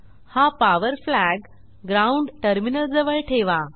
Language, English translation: Marathi, Place this power flag near the ground terminal